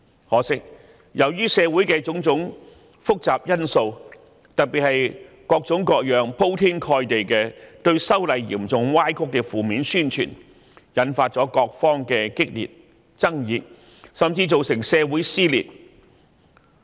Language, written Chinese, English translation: Cantonese, 可惜，由於社會上的種種複雜因素，特別是各種各樣、鋪天蓋地嚴重歪曲修例工作的負面宣傳，引發激烈爭議，甚至造成社會撕裂。, Unfortunately various complicated factors especially the overwhelming emergence of a great variety of negative propaganda making distorted false assertions about the legislative exercise has triggered very great controversies and even caused a social rift